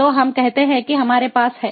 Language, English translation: Hindi, so let us say that we have